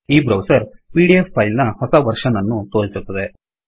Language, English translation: Kannada, This browser shows the latest version of the pdf file